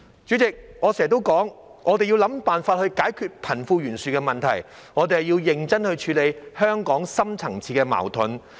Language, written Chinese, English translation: Cantonese, 主席，我經常說，我們要想辦法解決貧富懸殊問題，我們要認真處理香港的深層次矛盾。, President I always say that we must find solutions to the problem of wealth disparity and earnestly address the deep - seated conflicts in Hong Kong